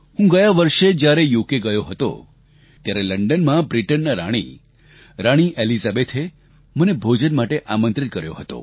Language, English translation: Gujarati, During my past UK visit, in London, the Queen of Britain, Queen Elizabeth had invited me to dine with her